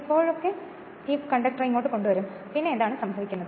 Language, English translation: Malayalam, Whenever bringing this conductor here, then what is happening